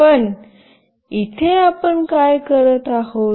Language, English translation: Marathi, But here what we are doing